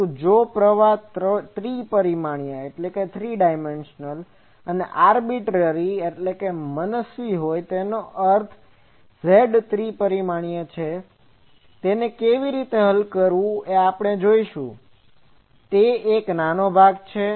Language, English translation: Gujarati, But now, if current is three dimensional and arbitrarily; that means, Z is 3 dimensional, how to solve that that we will see now, that is a small part